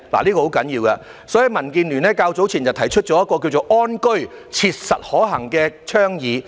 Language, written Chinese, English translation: Cantonese, 這是很重要的，所以民建聯較早前提出了一項"安居.切實可行"的倡議。, Since this is very important DAB proposed earlier on an advocacy that it was practically feasible to provide decent housing for Hong Kong people